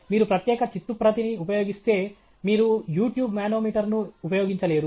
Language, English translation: Telugu, If you will use special draft, you cannot use U tube nanometer